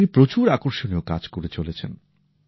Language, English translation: Bengali, He isdoing very interesting work